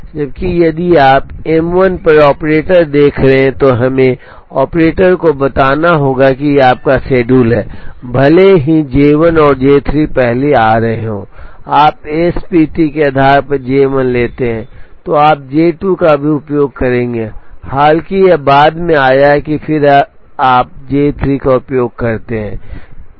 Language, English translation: Hindi, Whereas, if you are looking at the operator on M 1, we have to tell the operator that this is your schedule, even though J 1 and J 3 are coming first you take J 1 based on SPT, then you will use J 2 even though it came later and then you use J 3